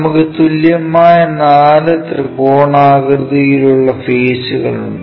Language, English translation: Malayalam, We have four equal equilateral triangular faces